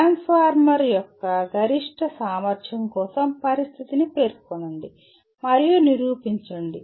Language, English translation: Telugu, State and prove the condition for maximum efficiency of a transformer